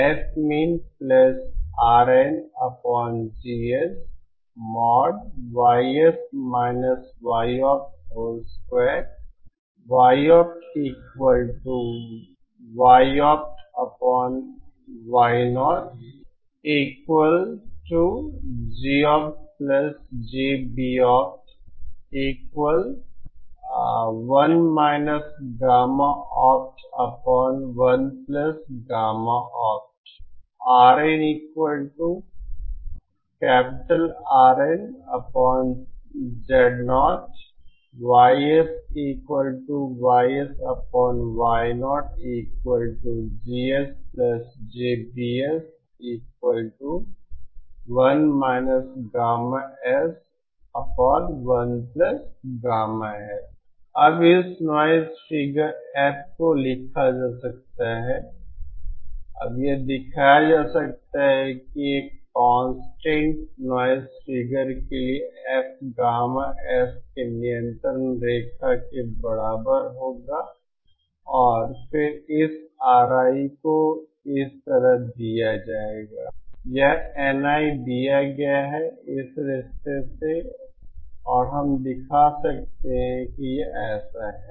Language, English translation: Hindi, Now this noise figured f can be written asÉNow it can be shown that for a contestant noise figure F is equal to constant the locus of gamma S will be given as and then this RI is given by like thisÉ which this NI is given by this relationship and we can show this is like this